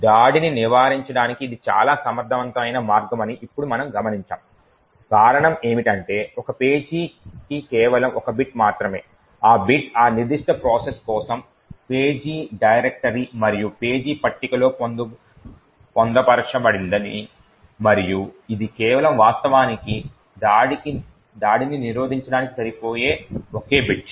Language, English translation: Telugu, Now we would note that this is a very efficient way to prevent the attack, the reason is that all that is required is just 1 bit for a page and this bit incorporated in the page directory and page table for that particular process and it is just that single bit which is sufficient to actually prevent the attack